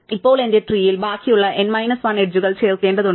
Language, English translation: Malayalam, Now, I have to add the remaining n minus 1 edges to my tree